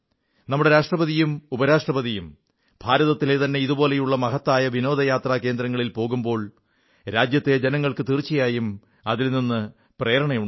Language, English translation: Malayalam, When our Hon'ble President & Vice President are visiting such important tourist destinations in India, it is bound to inspire our countrymen